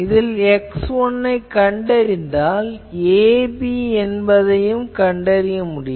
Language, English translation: Tamil, So, see that once I can find x 1, a b can be determined